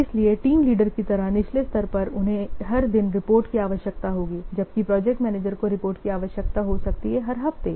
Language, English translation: Hindi, So, at the bottom level like team leader, they will require the reports more frequently, might be on every day, whereas project manager may require the report may be on every week or so